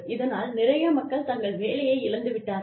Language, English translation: Tamil, And, a lot of people, have lost their jobs